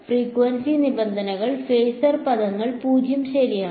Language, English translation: Malayalam, Frequency terms are the phasor terms are 0 right